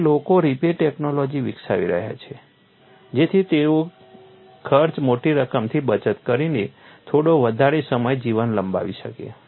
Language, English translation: Gujarati, So, people are developing repair technology so that they could extend the life for some more time saving enormous amount of cost